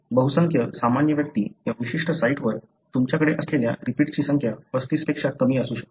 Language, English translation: Marathi, Majority of the normal individuals, the number of repeats that you have in this particular site could be less than 35